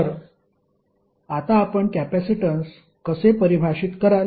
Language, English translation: Marathi, So, how you will define capacitance now